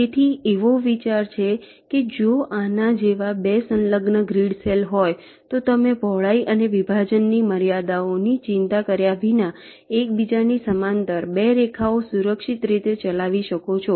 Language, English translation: Gujarati, so the idea is that if there are two adjacent grid cells like this, then you can safely run two lines on them parallel to each other without worrying about the width and the separation constraints